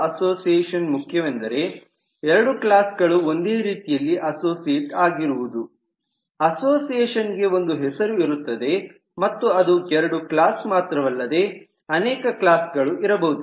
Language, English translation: Kannada, the association has a name and actually it is not two classes alone